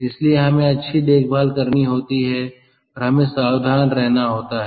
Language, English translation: Hindi, so we have to take good care and we have to be careful